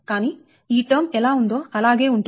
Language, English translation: Telugu, but this, this term, will remain as it is